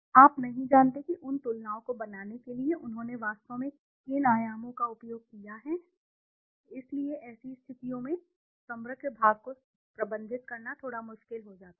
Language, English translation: Hindi, You don t know which dimensions have they actually utilized to make those comparisons, so in such conditions it becomes slightly difficult to manage the aggregate part